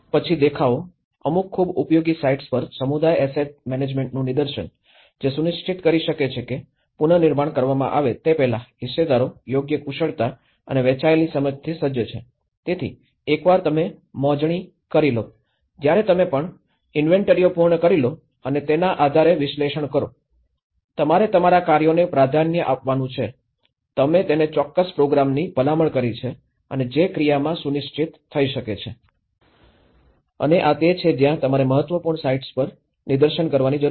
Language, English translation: Gujarati, Then, the demonstrations; demonstration of the community asset management at key sites, which can ensure the stakeholders are equipped with the right skills and shared understanding before the rebuilding is scaled up, so, once you done the survey, when you are done the even inventories and based on the analysis, you have prioritize the tasks, you have recommended certain program to it and which could be scheduled in action